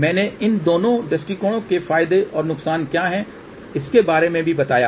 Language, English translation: Hindi, I also mentioned about what are the advantages and disadvantages of these two approaches